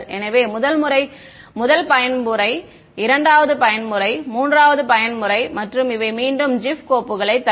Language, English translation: Tamil, So, the first mode the second mode and the third mode and these are again gif files produced